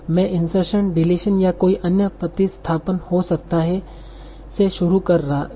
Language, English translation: Hindi, Or it might happen with an insertion deletion and another substitution